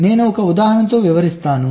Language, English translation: Telugu, i am giving you a small example